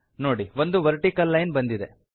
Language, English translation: Kannada, You see that a vertical line has come